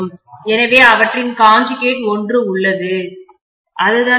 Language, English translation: Tamil, So we have one of them conjugate; that is what is important